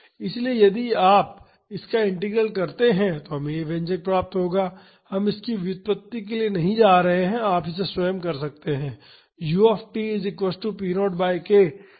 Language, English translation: Hindi, So, if you carry out this integral we would get this expression; we are not going to the derivation of this you can do it by yourself